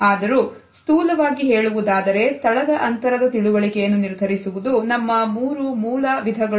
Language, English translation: Kannada, Still roughly we can say that the understanding of space is governed by our understanding of three basic types